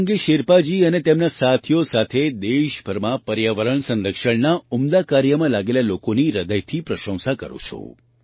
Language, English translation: Gujarati, Along with Sange Sherpa ji and his colleagues, I also heartily appreciate the people engaged in the noble effort of environmental protection across the country